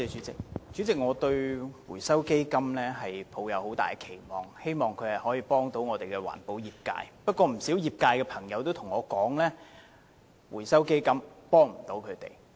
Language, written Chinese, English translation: Cantonese, 主席，我對回收基金抱有很大期望，希望它能夠協助環保業界，但不少業界朋友卻告訴我，指回收基金未能提供協助。, President I have high expectations for the Fund hoping that it can provide support to the environmental industries . However many people from the industry have told me that the Fund cannot offer any help